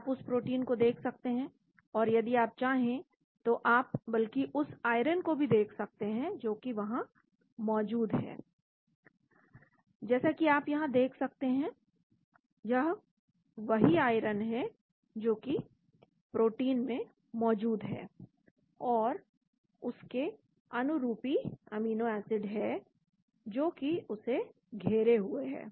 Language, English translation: Hindi, You can see that protein , and if you want you can even look at the iron that is present as you can see here, this is the iron that is present in the protein and with the corresponding amino acids that are surrounding there